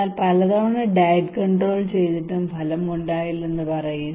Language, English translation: Malayalam, But tell me how I tried many times I did diet control it did not work